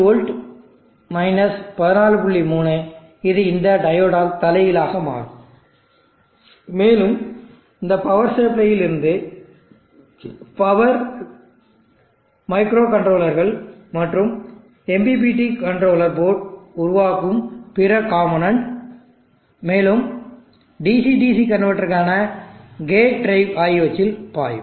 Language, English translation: Tamil, 3 it will reverse by this diode and power will flow from this power supply into the microcontrollers and the other components at make up the MPPT controller board, and also the gate drive for the DC DC converter